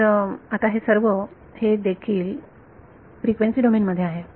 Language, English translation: Marathi, So, now, these are all so this is in the frequency domain